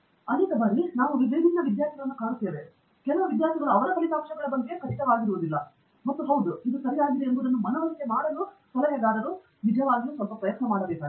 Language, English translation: Kannada, Many a times, we have come across different students, some students are not sure of the results and the advisor has to really put in some effort to convince that yes, this is right